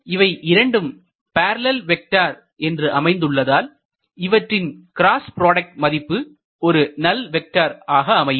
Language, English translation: Tamil, If these two are parallel vectors their cross product should be a null vector